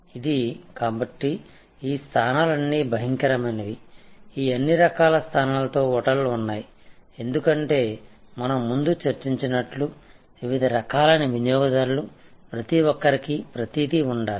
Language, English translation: Telugu, This, so all these positions are terrible, there are hotels with all these different types of positions, because a different types of customers and we know need to be everything to everybody as I discussed before